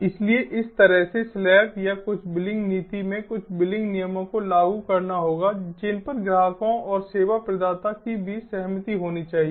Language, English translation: Hindi, so, like this, there has to be slabs, or some billing policy, some billing rules which has to be agreed upon by between the customers and the service provider